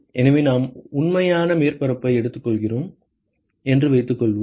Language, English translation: Tamil, So, supposing we take real surface